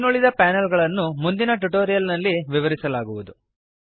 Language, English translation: Kannada, The rest of the panels shall be covered in the next tutorial